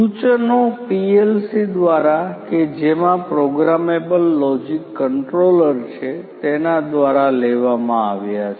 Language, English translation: Gujarati, The, the instructions are taken through the PLC which is in this particular machine the programmable logic controller which is there